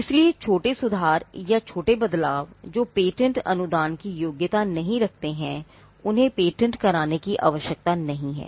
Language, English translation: Hindi, So, small improvements or small changes, which do not merit a patent grant need not be patented